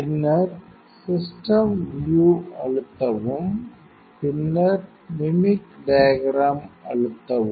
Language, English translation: Tamil, Then press to system view, then press to mimic diagram